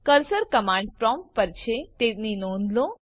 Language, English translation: Gujarati, Notice that the cursor is on the command prompt